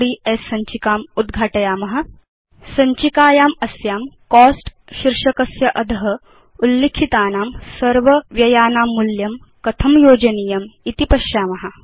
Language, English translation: Sanskrit, In our personal finance tracker.ods file, let us see how to add the cost of all the expenses mentioned under the heading, Cost